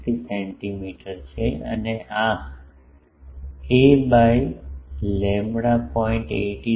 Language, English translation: Gujarati, 7273 centimeter and this a by lambda is 0